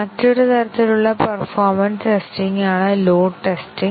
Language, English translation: Malayalam, Another type of performance testing is the load testing